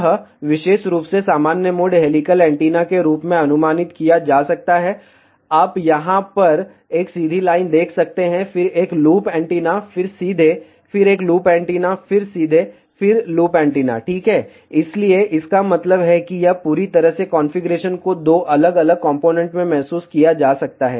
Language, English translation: Hindi, This particular normal mode helical antenna can be approximated as, you can see over here one straight line, then a loop antenna, then straight, then a loop antenna, then straight, then loop antenna ok, so that means, this whole particular configuration can be realized in two different components